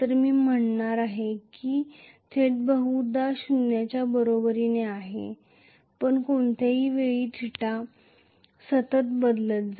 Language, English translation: Marathi, I am going to say theta probably is equal to zero but at any point in time theta is going to be continuously change